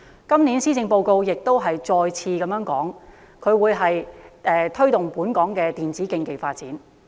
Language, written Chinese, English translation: Cantonese, 今年的施政報告再次提出推動本港電競發展。, In the Policy Address this year this initiative of promoting e - sports in Hong Kong is put forward once again